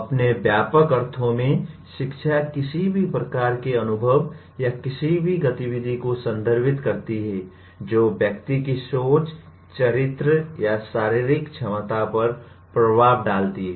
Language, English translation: Hindi, In its broad sense, education refers to any kind of experience or any activity an individual does which has impact on the person’s thinking, character, or physical ability